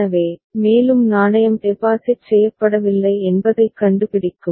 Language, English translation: Tamil, So, it will find that no further coin has been deposited